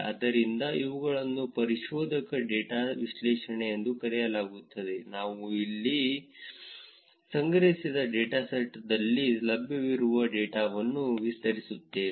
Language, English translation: Kannada, So, these are called exploratory data analysis, here we just explaining the data itself describing the data in terms of what is available in the data that was collected